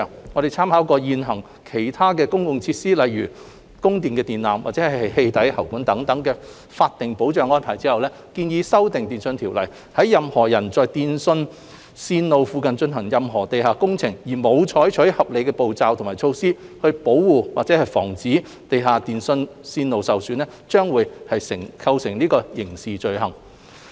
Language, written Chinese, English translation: Cantonese, 我們參考現行對其他公共設施，例如供電電纜及氣體喉管等的法定保障安排後，建議修訂《電訊條例》，若任何人在電訊線路附近進行任何地下工程時，沒有採取合理步驟及措施保護或防止地下電訊線路受損，將會構成刑事罪行。, With reference to the existing statutory protection arrangements for other public facilities such as electricity supply lines and gas pipes we propose to amend TO to create criminal offences against any person who does not take reasonable steps and measures to protect or prevent damage to an underground telecommunications line when carrying out any work below ground level near the line